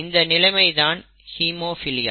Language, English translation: Tamil, And that condition is actually called haemophilia